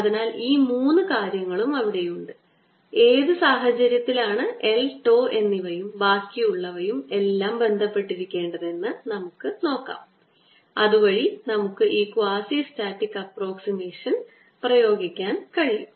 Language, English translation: Malayalam, so these three things are there and let us see under what circumstances how should l and tau or all this thing should be related so that we can apply this quazi static approximation